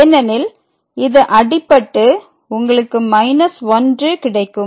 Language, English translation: Tamil, So, this is 1 and which is equal to the